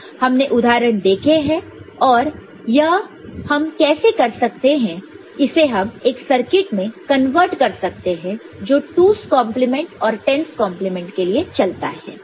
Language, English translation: Hindi, And, we have seen examples how to do that and you can convert that to circuit with you had known for 2’s complement and 10’s complement